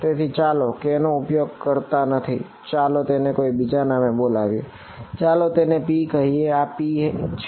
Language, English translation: Gujarati, So, what should I let us let us not use k let us call this by some other thing let us call this let us say p let us call this p